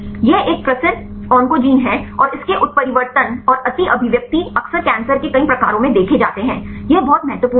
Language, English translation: Hindi, This is a well known oncogene, and its mutations and over expression are frequently observed in many of the cancer types; this is very important